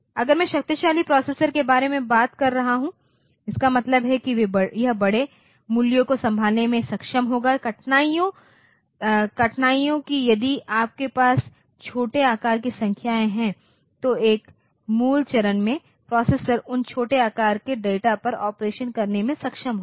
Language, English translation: Hindi, Or if so, if I am talking about powerful processor; that means, it will be able to handle larger values the difficulties that if you are having smaller sized numbers then in a basic step the processor will be able to do operation on those smaller size data